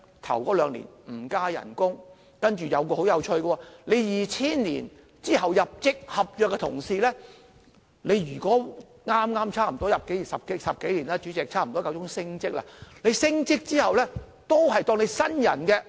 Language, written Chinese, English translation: Cantonese, 首兩年不增加工資，然後很有趣的是 ，2000 年之後入職的合約同事，已工作10多年，差不多是時候升職，但升職之後，仍然被視為新人。, Why? . It is because there will not be any wage rise in the first two years of employment . Interestingly for contract staff who joined HA after the year 2000 and are about to have promotion after working for 10 - odd years they will still be regarded as newcomers after promotion